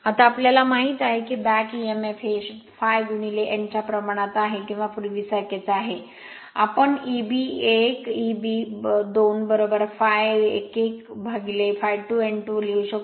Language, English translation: Marathi, Now, we know that back Emf is proportional to phi into n or is same as before, we can write E b 1 upon E b 2 is equal to phi 1 n 1 upon phi 2 n 2 right